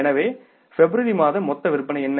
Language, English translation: Tamil, So, what are the total sales for the February